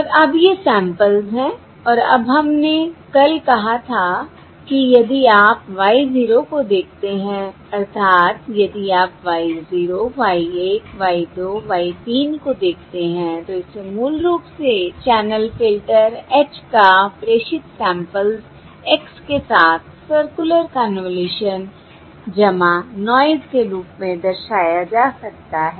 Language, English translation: Hindi, and now we said yesterday, that is, if you look at Y zero, uh, that is, if you look at Y zero, Y one, Y two, Y three, that can be basically represented as the circular convolution of the channel filter H with the transmitted samples, X plus the noise